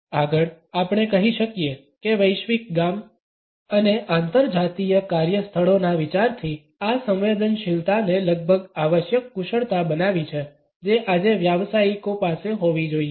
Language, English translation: Gujarati, Further we can say that the idea of the global village and the interracial workplaces has made this sensitivity almost a must skill which professionals today must possess